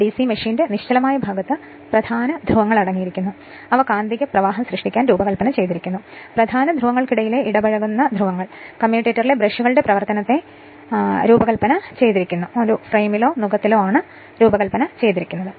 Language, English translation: Malayalam, The stationary part of a DC machine consists of main poles, designed to create the magnetic flux, commutating poles inter interposed between the main poles and your designed to your sparkles operation of the brushes at the commutator and a frame or yoke